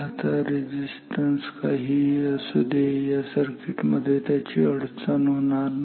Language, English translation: Marathi, Now whatever resistance I have in this circuit they do not create any problem